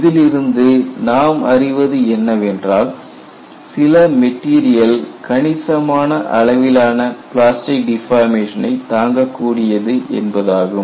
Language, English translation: Tamil, And what you are trying to say here is, certain materials they can withstand substantial plastic deformation